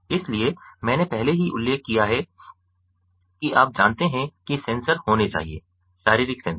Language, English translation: Hindi, so i already mentioned that you know there has to be sensors, the physiological sensors